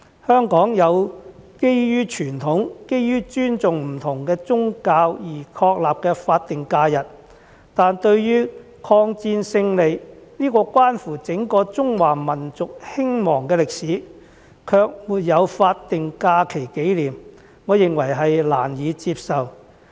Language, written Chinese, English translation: Cantonese, 香港有基於傳統、基於尊重不同宗教而確立的法定假日，但對於抗戰勝利，這關乎整個中華民族興亡的歷史，卻沒有法定假期紀念，我認為難以接受。, In Hong Kong there are statutory holidays based on tradition and respect for different religions but I find it unacceptable that there is no statutory holiday to commemorate the victory of the War of Resistance which concerns the history of the rise and fall of the Chinese nation as a whole